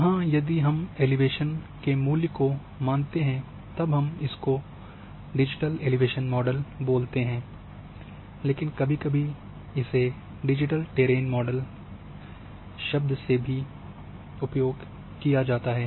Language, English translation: Hindi, Here, if we consider as elevation value then we call as a digital elevation model, but a sometimes people also use a term digital terrain model